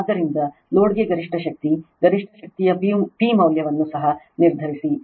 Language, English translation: Kannada, So, maximum power to the load, determine the value of the maximum power P also right